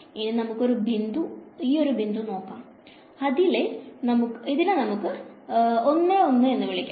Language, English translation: Malayalam, So, for example, let us take one point over here ok so, let us call this 1 0 right